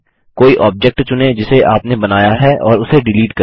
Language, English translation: Hindi, Select any object you have drawn and delete it